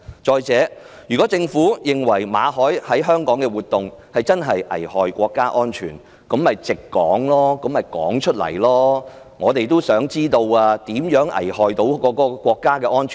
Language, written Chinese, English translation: Cantonese, 再者，如果政府認為馬凱在香港的活動真的危害國家安全，大可直說，我們也想知道他如何危害國家安全。, Moreover if the Government believed that Victor MALLETs activities in Hong Kong truly threatened national security it could tell us plainly . We also want to know how he threatened national security